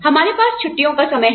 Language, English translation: Hindi, We have a vacation time